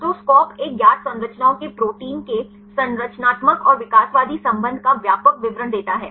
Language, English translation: Hindi, So, SCOP gives the comprehensive description of the structural and evolutionary relationship of the proteins of a known structures